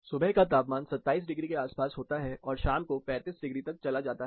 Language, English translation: Hindi, Morning, the temperatures are around 27 degree and goes up to 35 degree in the evening